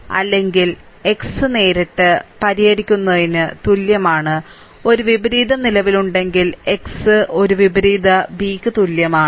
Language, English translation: Malayalam, Or x is equal to directly solved x is equal to a inverse b of course, if a inverse exist, but any way ah sometimes we do not follow a inverse